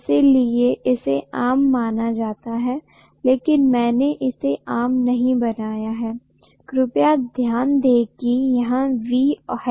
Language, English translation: Hindi, It is supposed to be common but I have not made it common; please note that and this is V